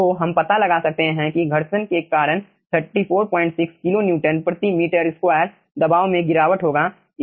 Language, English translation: Hindi, so we can find out that, due to friction, 34 point 6 kilonewton per meter square pressure drop will be there